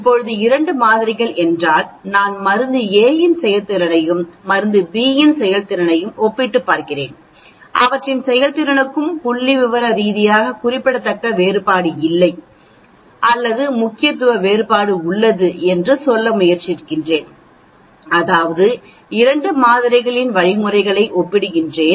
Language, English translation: Tamil, Now what is Two samples, suppose I am comparing performance of drug A and performance of drug B and trying to tell there is no statistically significant difference between their performance or there is significance difference that means, I am comparing the means of 2 samples that is why it is called the two sample t test